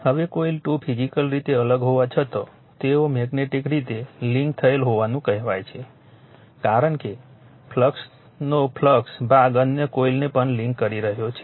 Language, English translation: Gujarati, Now, although the 2 coils are physically separated they are said to be magnetically coupled right because , flux part of the flux is linking also the other coil